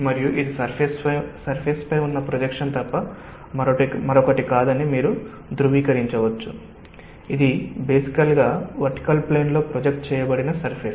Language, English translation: Telugu, so you just required to know the extent of the depth and you can verify that this will be nothing but the projection on the surface, which is basically our surface projected on a vertical plane